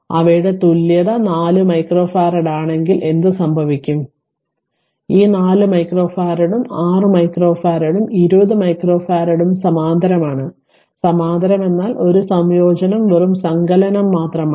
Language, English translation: Malayalam, So, equivalent will be 4 micro farad therefore, what will happen that ah their equivalent is 4 micro farad those; that means, this 4 micro farad then 6 micro farad and 20 micro farad are in parallel are in parallel parallel means just a combination just addition